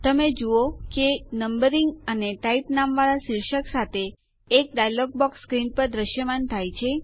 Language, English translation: Gujarati, You see that a dialog box appears on the screen with headings named Numbering and Type